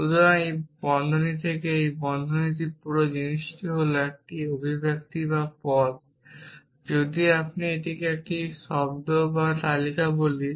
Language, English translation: Bengali, So, this whole thing from this bracket to this bracket is one expression or term if you we just call it a term or a list